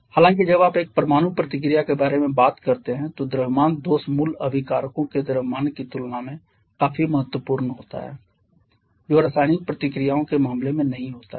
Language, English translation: Hindi, However when you talk about a nuclear reaction the mass defect is quite significant compared to the mass of the original reactants which is not the case during chemical reactions